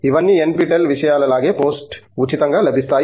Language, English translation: Telugu, That are all available in post free, like an NPTEL things